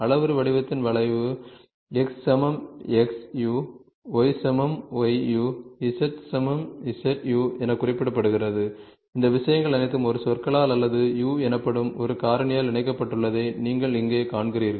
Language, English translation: Tamil, In parametric form the curve is represented as x equal to x of u, y equal to y of u, z equal to so, you see here all these things are linked by a terminology or by a factor called ‘u’